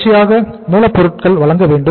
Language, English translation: Tamil, Continuous supply of raw material